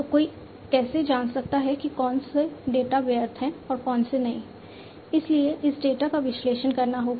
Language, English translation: Hindi, So, how can one know which data are relevant and which are not, so that is why this data will have to be analyzed